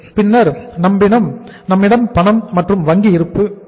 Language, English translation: Tamil, Then we have the cash and bank balances